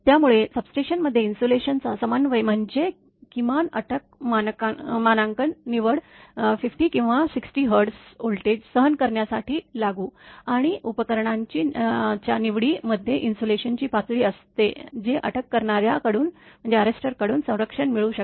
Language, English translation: Marathi, Therefor the coordination of insulation in a substation means the selection of the minimum arrester rating applicable to withstand 50 or 60 Hertz voltage, and the choice of equipment have an insulation level that can be protected by the arrester